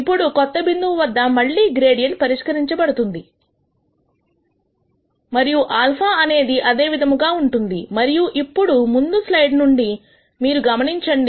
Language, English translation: Telugu, Now, again the gradient is evaluated at the new point and the alpha remains the same and now you notice from the previous slides